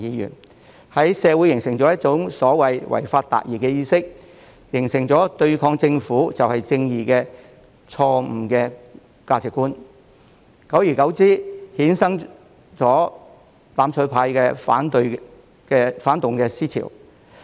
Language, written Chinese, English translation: Cantonese, 他們在社會形成一種所謂"違法達義"的意識，形成對抗政府就是正義的錯誤價值觀，久而久之便衍生"攬炒派"的反動思潮。, They instilled in society the so - called ideology of achieving justice by violating the law which has caused an incorrect value that resisting the Government is righteous . As time goes by the reactionary ideology of the mutual destruction camp has come into being